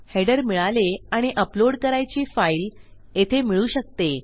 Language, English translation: Marathi, Weve got our header and possibility to upload a file here